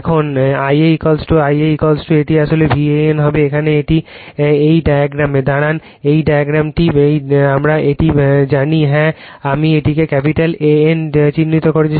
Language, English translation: Bengali, Now, I a is equal to your I a is equal to it will V a n actually, here it is at this diagram just hold on , this diagram , we know this , this is yeah I have marked it capital A N right